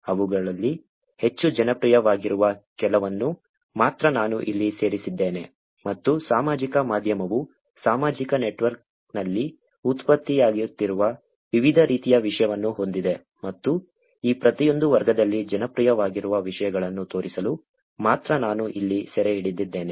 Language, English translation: Kannada, I have captured here only some of them which are more popular and I have also captured here only to show that the social media has different types of content that are getting generated on social network and the popular ones in each of this category